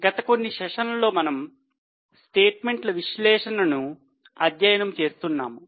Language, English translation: Telugu, In last few sessions we are studying the analysis of statements